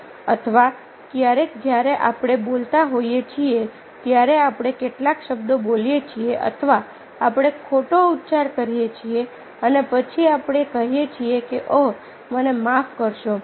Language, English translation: Gujarati, or sometimes, while we speaking, we utter some words or we mispronounced and then we say, oh, i am sorry